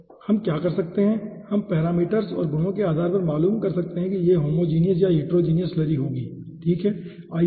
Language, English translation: Hindi, okay, so what we can do, we can characterize, depending on the parameters and the properties, that, whether it will be homogeneous or heterogeneous slurry, okay